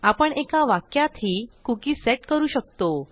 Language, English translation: Marathi, Now we can also set a cookie in a single sentence